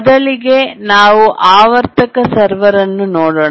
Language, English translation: Kannada, First let's look at the periodic server